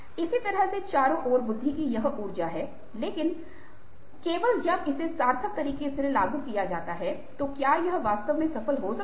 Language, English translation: Hindi, in a similar way, there is these energy of intelligence all around, but only when it is applied in a meaningful way can it actually be successful